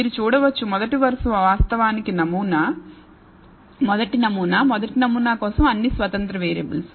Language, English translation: Telugu, You can view the first row as actually the sample, first sample, of all independent variables for the first sample